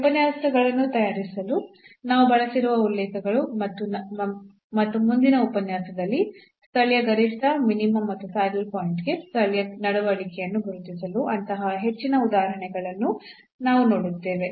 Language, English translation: Kannada, So, these are the references we have used to prepare these lectures and in the next lecture now we will see more such examples to identify the local the behavior for the local maxima minima and the saddle point